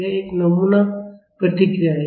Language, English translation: Hindi, This is a sample response